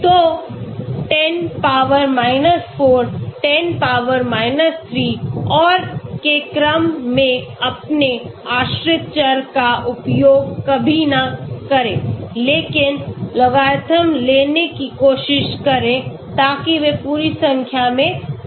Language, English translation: Hindi, So never use your dependent variable in the order of 10 power 4, 10 power 3 and so on but try to take logarithm so that they will be in whole number